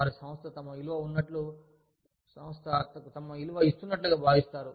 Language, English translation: Telugu, They feel valued, by the organization